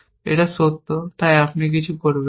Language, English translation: Bengali, It is true so, you do not do anything